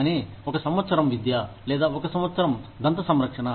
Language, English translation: Telugu, Either, one year of education, or one year of dental care